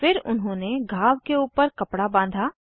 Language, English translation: Hindi, Then they tied a cloth above the wound